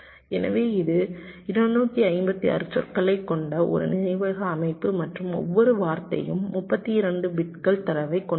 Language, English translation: Tamil, so this is a memory system with two fifty six words and each word containing thirty two bits of data